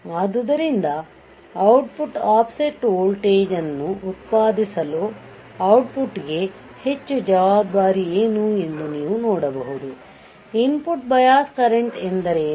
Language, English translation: Kannada, So, you can see that what is the more responsible for the output for producing the output offset voltage; input bias current is what